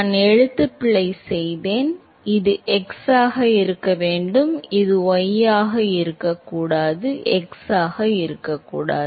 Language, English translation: Tamil, Note that I made a typo this should be x and not this should be y and not x